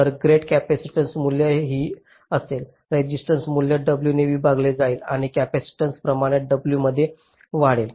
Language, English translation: Marathi, this: the resistance value will be divided by w and capacitance will increase in proportional w